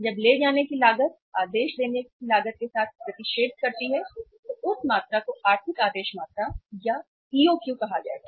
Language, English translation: Hindi, When the carrying cost intersect with the ordering cost, that quantity will be called as the economic order quantity